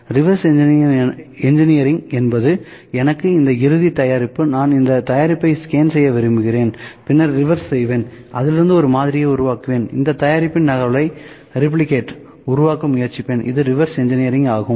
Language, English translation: Tamil, Reverse engineering is if I got this final product, I like to scan this product then move reverse I will create a model out of that and just to trying to create a replicate of this product, this is reverse engineering, ok